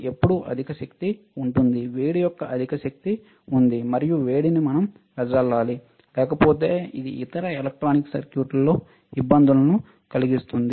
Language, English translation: Telugu, When there is a high power there is a high energy lot of a heat, and heat we need to dissipate, otherwise it will cause difficulties in other the other electronic circuits